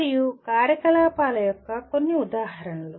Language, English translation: Telugu, And some examples of activities